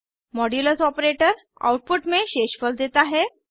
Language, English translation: Hindi, The modulus operator returns the remainder as output